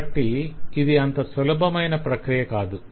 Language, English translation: Telugu, so, again, it is a difficult process